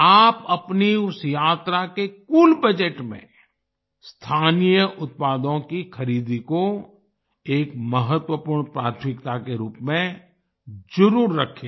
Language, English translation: Hindi, In the overall budget of your travel itinerary, do include purchasing local products as an important priority